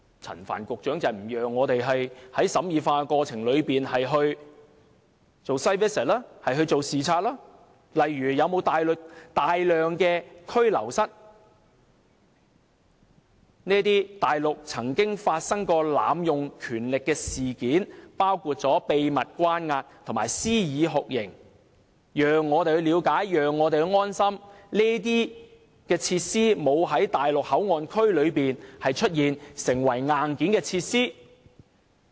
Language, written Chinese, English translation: Cantonese, 陳帆局長不讓我們在審議法案的過程中前往視察，看看例如是否有大量拘留室——內地曾經發生濫用權力的事件，包括秘密關押及施以酷刑——讓我們了解及安心，知道這些設施沒有在內地口岸區內出現，成為硬件設施。, Secretary Frank CHAN did not let us make site visits in the course of scrutinizing the Bill to see if there are for example a large number of detention rooms―incidents of power abuse including secret confinement and torture have happened on the Mainland before―to put our minds at ease with the knowledge that such facilities are not found in MPA and have become its hardware